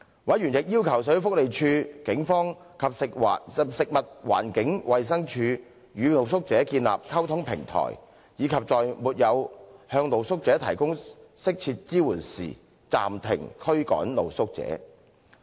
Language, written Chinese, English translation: Cantonese, 委員亦要求社會福利署、警方及食物環境衞生署與露宿者建立溝通平台，以及在沒有向露宿者提供適切支援時，暫停驅趕露宿者。, The Social Welfare Department the Police and the Food and Environmental Hygiene Department were also requested to establish a communication platform with street sleepers and stop evicting street sleepers in the absence of appropriate support to them